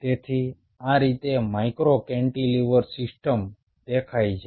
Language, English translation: Gujarati, so this is how a micro cantilever system looks like